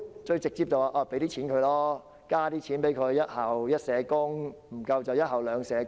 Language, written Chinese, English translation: Cantonese, 最直接的方法便是增加學校的撥款，做到"一校一社工"，甚至"一校兩社工"。, The most direct solution is to provide more funding for schools to implement the one social work for each school programme or even upgrade it to two social workers for each school